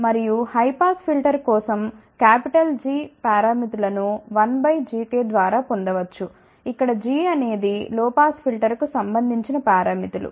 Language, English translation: Telugu, And for the high pass filter the capital G parameters can be simply obtained by 1 divided by G k where g are the parameters corresponding to low pass filter